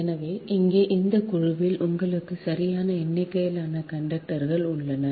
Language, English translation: Tamil, so here in that group you have n number of conductors, right